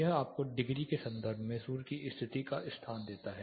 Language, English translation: Hindi, This gives you location suns position in terms of degrees